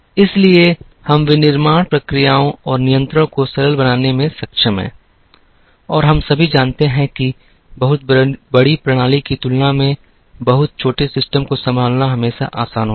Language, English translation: Hindi, So, we are able to simplify the manufacturing processes and control, and we all know that, it is always easier to handle a much smaller system than a very large system